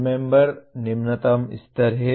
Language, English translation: Hindi, Remember is the lowest level